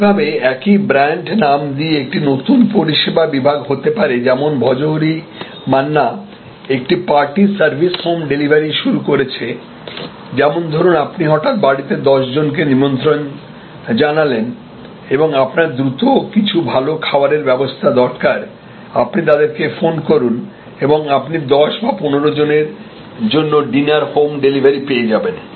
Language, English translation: Bengali, Similarly, there can be a new service category with the same brand name like Bhojohori Manna now has a party service home delivery for if you suddenly invite 10 people and you need to quickly russell up a good meal you call them up and you get delivery home delivery of a dinner for 12 people 15 people or whatever